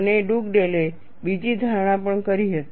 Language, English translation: Gujarati, And Dugdale also made another assumption